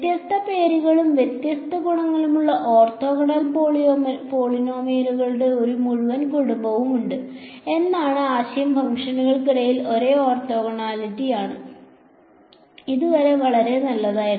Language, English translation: Malayalam, There is a entire family of orthogonal polynomials with different different names and different properties, but the idea is the same orthogonality between functions ok; so far so good